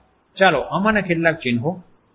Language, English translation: Gujarati, Let’s look at some of these symbols